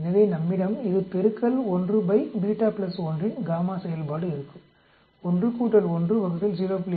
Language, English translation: Tamil, So we will have this into gamma function of 1 by beta plus 1, gamma function of a 1 plus 1 divided by 0